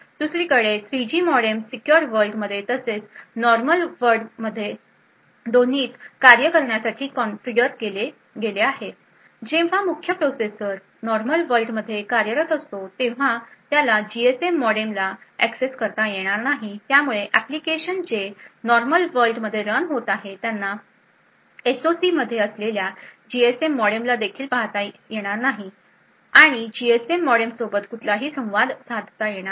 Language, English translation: Marathi, On the other hand the 3G modem is configured to work both from the secure world as well as the normal world putting this in other words when the main processor is running in the normal world it will not be able to access the GSM modem thus applications running in the normal world would not be able to even see that the GSM modem is present in the SOC and no communication to the GSM modem is possible